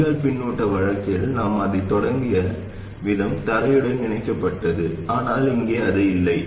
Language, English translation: Tamil, In the drain feedback case, the way we started off it was connected to ground but here it is not